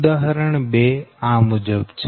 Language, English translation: Gujarati, this is example two